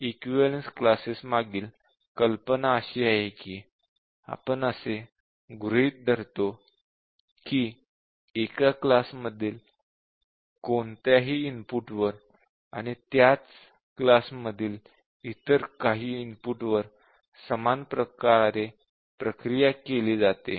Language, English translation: Marathi, The idea behind equivalence class testing is that we assume that input for one class is processed in similar way compared to any input for the same equivalence class